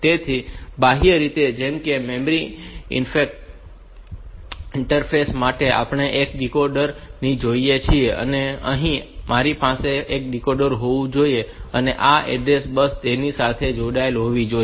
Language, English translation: Gujarati, So, externally, just like for memory interface we connect one decoder, here also I should have a decoder and this address bus should be connected to this